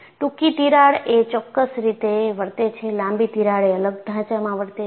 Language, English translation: Gujarati, Because short cracks will behave in a particular manner; longer cracks will behave in a different fashion